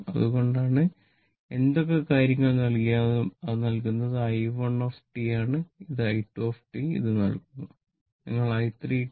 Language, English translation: Malayalam, So, whatever things are given, it is given i 1 t is given this one i 2 t is given